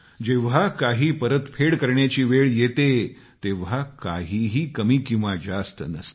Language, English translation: Marathi, When it comes to returning something, nothing can be deemed big or small